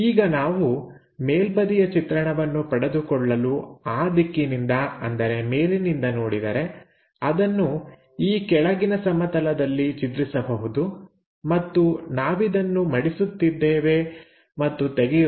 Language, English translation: Kannada, Now, top view, if we are looking from that direction; so, it projects onto this bottom plane and we are folding it to open it, then this line and the bottom one coincides